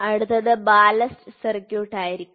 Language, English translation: Malayalam, So, the next one is going to be Ballast, Ballast circuit